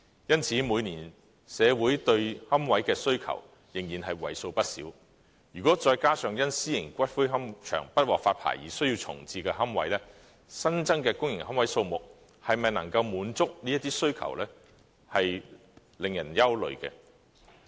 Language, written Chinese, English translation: Cantonese, 因此，社會每年對龕位的需求仍然為數不少，如果再加上因私營龕場不獲發牌而需要重置的龕位，新增的公營龕位數目能否滿足這些需求，確實令人憂慮。, For this reason there is still a considerable demand for niches every year and this coupled with the fact that certain niches need to be relocated as some private columbaria are eventually not licenced it is indeed worrying whether the increase in public niches can satisfy all the demand